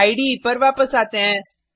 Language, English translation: Hindi, Come back to the IDE